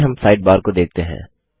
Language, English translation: Hindi, Next we will look at the Sidebar